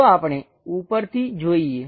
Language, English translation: Gujarati, Let us look at from top view